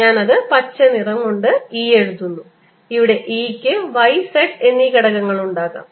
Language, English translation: Malayalam, let me make, since i am writing e with green, let me make: e can have components y and z